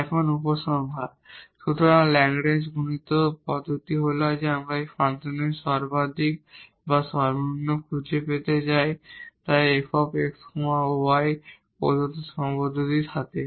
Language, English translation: Bengali, Conclusion now: so, the method of Lagrange multiplier is that we want to find the maximum or minimum of a function here f x y with the sum given constraint